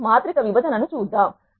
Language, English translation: Telugu, Now, let us look at matrix division